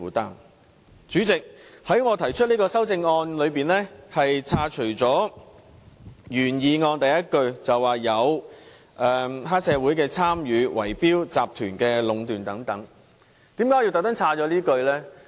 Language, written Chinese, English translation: Cantonese, 代理主席，我提出的修正案刪除了原議案的第一句，即有關黑社會參與圍標集團壟斷等字眼，為甚麼我故意刪除這一句呢？, Deputy President in my amendment I propose the deletion of the first line of the original motion about monopolization by bid - rigging syndicates involving triad members . Why did I delete it on purpose?